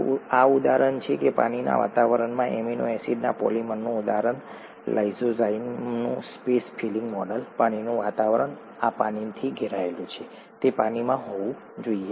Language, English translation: Gujarati, So this is the example, an example of a polymer of amino acids in a water environment, space filling model of lysozyme, water environment, this is surrounded with water, it has to be in water